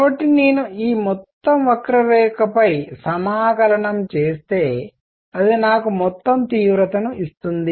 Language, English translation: Telugu, So, if I integrate over this entire curve it gives me the total intensity